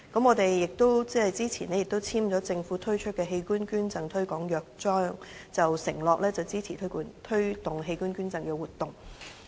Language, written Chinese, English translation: Cantonese, 我們早前亦簽署了政府推出的器官捐贈推廣約章，承諾支持推動器官捐贈活動。, We also became a signatory of the Organ Donation Promotion Charter earlier to signify our support of the promotional activities on organ donation